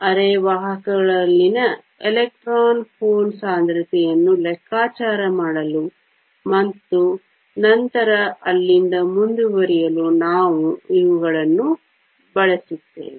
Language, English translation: Kannada, We will use these to calculate the electron hole concentrations in semiconductors and then proceed from there